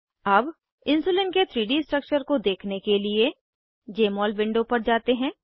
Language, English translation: Hindi, Now, lets switch to Jmol window to view the 3D structure of Insulin